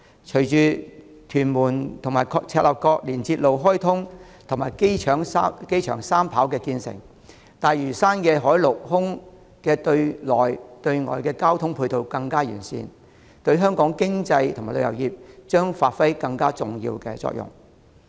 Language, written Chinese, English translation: Cantonese, 隨着屯門至赤鱲角連接路開通及機場三跑建成，大嶼山的海、陸、空對內對外交通配套會更為完善，對香港的經濟及旅遊業將發揮更重要的作用。, Following the commissioning of the Tuen Mun - Chek Lap Kok Link and completion of the third runway internal and external sea land and air transport facilities on Lantau Island will become more comprehensive playing a more significant role in the economy and tourism industry of Hong Kong